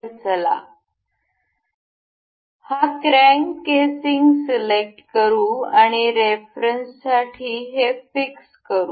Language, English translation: Marathi, So, let us pick this crank casing and fix this for the reference